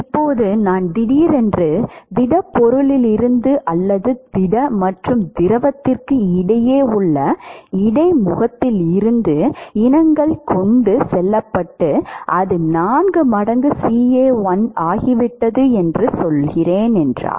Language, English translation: Tamil, Now, I suddenly have from the solid or from the interface between the solid and fluid let us say that the species now has transported and it has become four times CA1